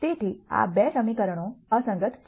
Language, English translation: Gujarati, So, these 2 equations are inconsistent